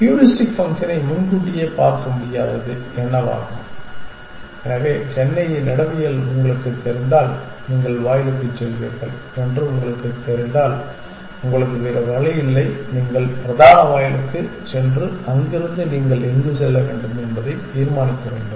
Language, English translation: Tamil, What can happen which the heuristic function cannot foresee essentially, so if you know the topology of Chennai and if you know that you will go to the gate, you have no other option you go to the main gate and from there you have to decide where to go